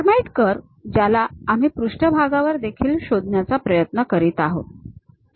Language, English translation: Marathi, Hermite curve, which we are trying to locate even on the surface